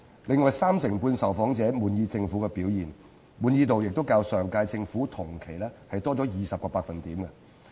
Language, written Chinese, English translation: Cantonese, 此外，三成半受訪者滿意政府表現，滿意度亦較上屆政府同期多20個百分點。, In addition 35 % of the respondents expressed satisfaction with the SAR Government a satisfaction rate that was 20 % higher than that enjoyed by the previous Government in the same month last year